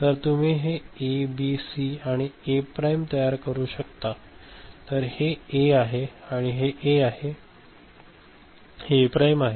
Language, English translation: Marathi, So, you can realize this is A, B, C and A prime, so this is A and this is A prime ok